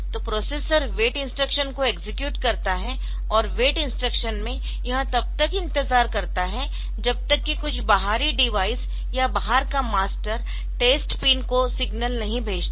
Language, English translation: Hindi, So, you have so the processor executes an wait instruction and in the wait instruction it wait still some outside device or outside master sends a signal to the test pin